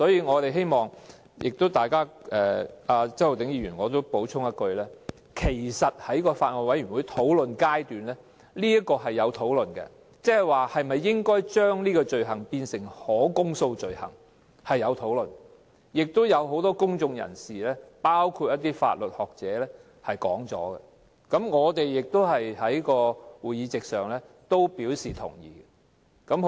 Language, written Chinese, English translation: Cantonese, 我也希望向周浩鼎議員補充說一句，其實在法案委員會討論階段，曾經討論應否將這項罪行列作可公訴罪行，也有很多公眾人士曾表達意見，我們在會上亦表示同意。, I would also like to tell Mr Holden CHOW that discussions on whether this offence should be stipulated as an indictable offence have been made in the Bills Committee . Members of the public including academics of law have expressed their views in this regard and we have indicated our support at the meeting